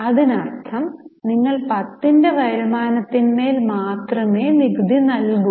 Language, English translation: Malayalam, That means you will pay tax only on the income of 10